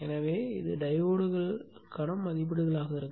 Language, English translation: Tamil, So these would be the ratings for the diode